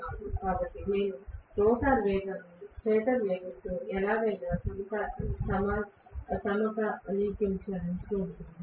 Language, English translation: Telugu, So, I am going to have to somehow synchronise the rotor speed with that of the stator speed